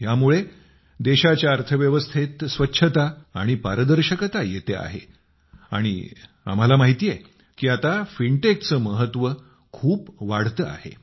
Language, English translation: Marathi, Through this the economy of the country is acquiring cleanliness and transparency, and we all know that now the importance of fintech is increasing a lot